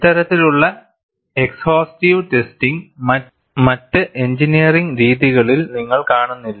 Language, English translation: Malayalam, This kind of exhaustive testing, you do not see in other engineering practices